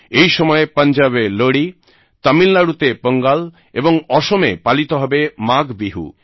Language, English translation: Bengali, During this time, we will see the celebration of Lohri in Punjab, Pongal in Tamil Nadu and Maagh Biihu in Assam